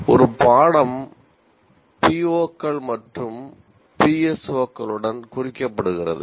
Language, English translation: Tamil, And a course is tagged with POs and PSOs it addresses